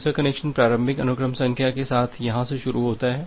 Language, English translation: Hindi, The second connection is starts from here with the initial sequence number